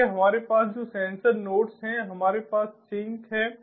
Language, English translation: Hindi, so these sensor nodes, basically they have